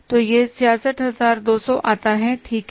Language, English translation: Hindi, So, this works out as 6,600s